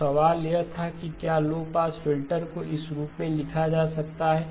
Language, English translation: Hindi, So the question was can a low pass filter be written in this form